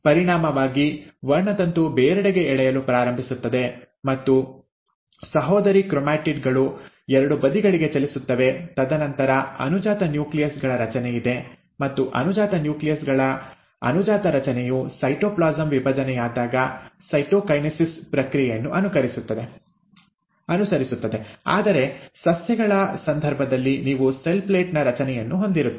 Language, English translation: Kannada, As a result, the chromosome starts getting pulled apart, and the sister chromatids move to the two sides, and then there is a formation of daughter nuclei, and the daughter formation of daughter nuclei is then followed by the process of cytokinesis when the cytoplasm divides, while in case of plants, you end up having formation of a cell plate